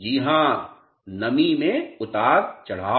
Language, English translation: Hindi, Yes, fluctuation in humidity